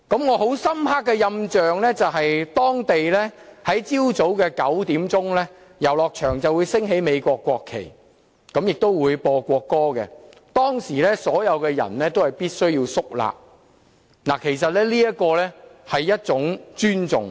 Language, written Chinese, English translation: Cantonese, 我印象很深刻的是當地在早上9時，遊樂場會升起美國國旗和奏國歌，所有人必須肅立，代表一份尊重。, What left me with a deep impression was that at nine oclock local time in the morning the national flag of the United States would be hoisted and its national anthem played at the amusement park . Everyone must stand up straight as a gesture of respect